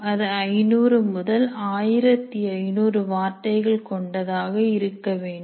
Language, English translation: Tamil, And it should include 500 to 1,500 words